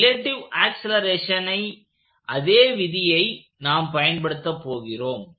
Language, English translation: Tamil, So, we will use the same law of relative accelerations